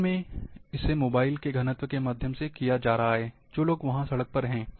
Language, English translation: Hindi, Basically, through the density of mobiles, which are located there